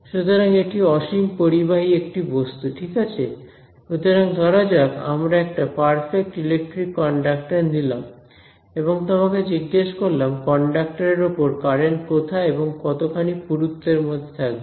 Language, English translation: Bengali, So, infinitely conductive material right; so, in a like we take a perfect electric conductor and ask you where is the current on the conductor, in how much thickness is it in, what would you say